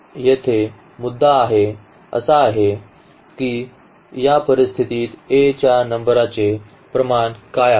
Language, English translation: Marathi, So, the point here is now the rank in this situation what is the rank of A